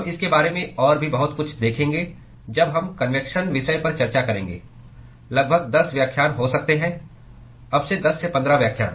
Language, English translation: Hindi, We will see a lot more about it when we discuss convection topic may be about 10 lectures, 10 15 lectures from now